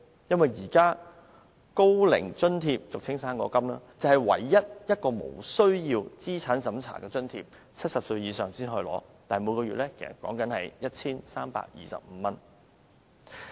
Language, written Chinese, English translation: Cantonese, 現時"生果金"是唯一無須資產審查的津貼 ，70 歲以上便可領取，但每月只有 1,325 元。, The fruit grant is currently the only allowance not subject to any means test for all elderly aged 70 or above but it merely offers 1,325 a month